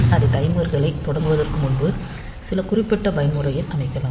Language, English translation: Tamil, So, we can set these timers to some particular mode before starting it